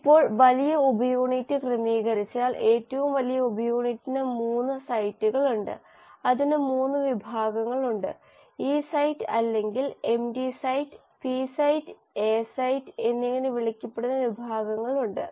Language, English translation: Malayalam, Now once the large subunit arranges the largest subunit has 3 sites, it has 3 sections; it has a section which is called as the E site or the “empty site”, the P site and the A site